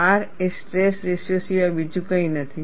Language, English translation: Gujarati, R is nothing but stress ratio